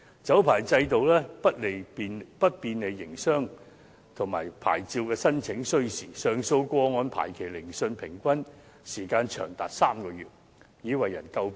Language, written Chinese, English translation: Cantonese, 酒牌制度不便利營商，而且牌照申請需時，上訴個案排期聆訊的平均時間長達3個月已為人詬病。, The liquor licensing regime is not favourable for business operation . Moreover licence application is time - consuming . The average time for appeal cases to be set down for hearings being as long as three months has been a subject of criticism